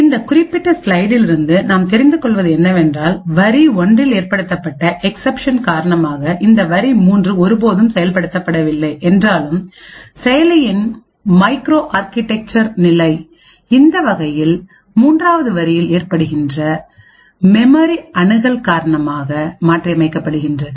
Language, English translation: Tamil, The takeaway from this particular slide is the fact that even though this line 3 in this particular program has never been executed due to this exception that is raised in line 1, nevertheless the micro architectural state of the processor is modified by this third line by this memory access